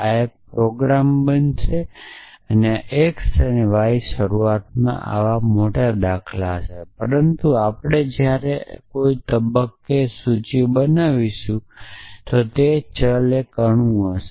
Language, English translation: Gujarati, So, this going to be a program, so this x and y initially will be such bigger patterns but eventually when we build on into list at some point they will either a variable or an atom